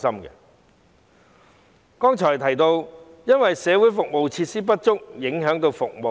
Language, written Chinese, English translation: Cantonese, 我剛才提到，社會服務設施不足以致影響服務。, As I mentioned earlier shortage of social service facilities has affected the provision of services